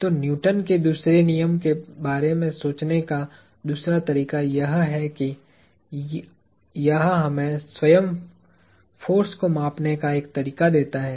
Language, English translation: Hindi, So, what another way of thinking of Newton’s second law is that, it gives us a way of measuring force itself